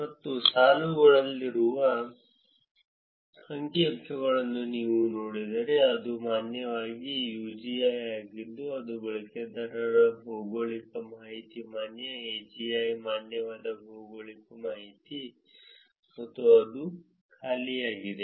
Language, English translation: Kannada, And if you look at the statistics which are in the rows, it is valid UGI which is user geographic information, valid AGI, valid geographic information and that is empty